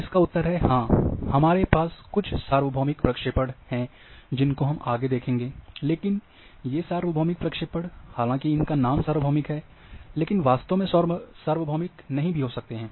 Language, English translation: Hindi, Yes, we are also having some universal projection which we will see little later, but these universal projections are though their name is universal, but may not be truly universal